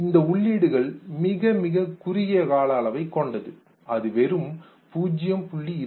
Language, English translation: Tamil, This input is retained for a very brief time ranging from 0